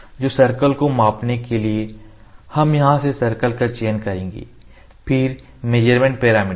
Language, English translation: Hindi, So, to measure the circle we will select circle from here, then measurement parameters